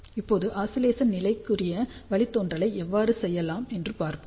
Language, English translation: Tamil, Now, let us see how we can do the derivation for oscillation condition